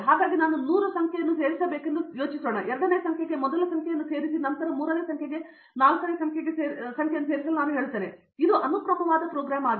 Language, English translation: Kannada, So suppose, I want to add 100 numbers, suppose I say add the first number to the second number then to the third number then to the fourth number, this is a sequential program